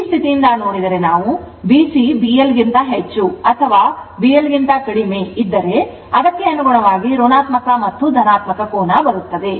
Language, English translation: Kannada, So, from this condition I see that ifyou are your what we call if B Cminus your B C greater thanB L or less than B L accordingly negative and positive angle will come right